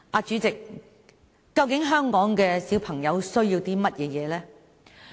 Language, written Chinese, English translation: Cantonese, 主席，究竟香港的小孩需要甚麼呢？, President what exactly do children in Hong Kong need?